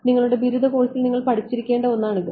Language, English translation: Malayalam, So, this is something which is you should have studied in your undergraduate course